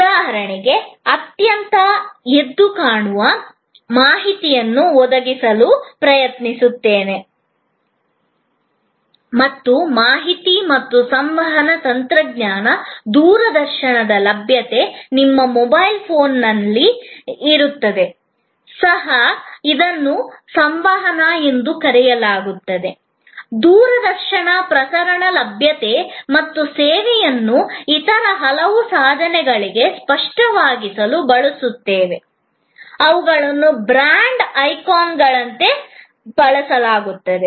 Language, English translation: Kannada, For example, providing very vivid information, use interactive imagery, which is now become even easier, because of information and communication technology, availability of television, availability of television transmission even on your mobile phone and we use many other tools like say a brand icons to make the service tangible